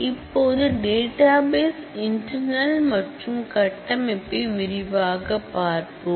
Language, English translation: Tamil, Now, we will take a quick look into the database internals and architecture